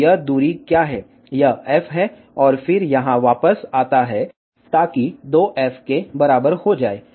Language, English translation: Hindi, So, what is this distance, this is f, and then comes back here, so that will be equal to 2f